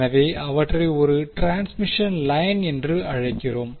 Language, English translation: Tamil, So, we call them as a transmission line